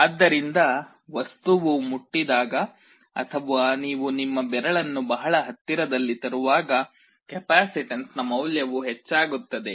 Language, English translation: Kannada, So, when the object touches or even you are bringing your finger in very close proximity, the value of the capacitance will increase